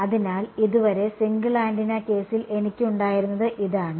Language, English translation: Malayalam, So, so far this is what I had in the single antenna case now right